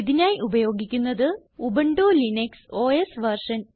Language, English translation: Malayalam, Here I am using Ubuntu Linux OS version